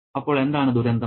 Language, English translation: Malayalam, And that is the tragedy